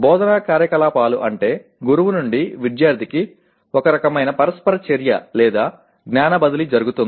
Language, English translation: Telugu, Instructional activities means in some kind of interaction or knowledge transfer from the teacher to the student